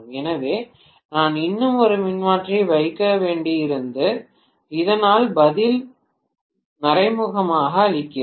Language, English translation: Tamil, So, I had to necessarily put one more transformer, so that gives the answer indirectly